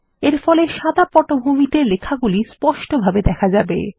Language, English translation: Bengali, This will make the text clearly visible against the white background